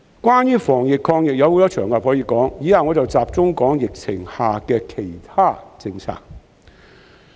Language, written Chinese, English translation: Cantonese, 關於防疫抗疫的事宜，有很多場合可以說，以下我會集中談談疫情下的其他政策。, There are many occasions where I can discuss some anti - epidemic issues . In the following I will focus my discussion on other policies under the epidemic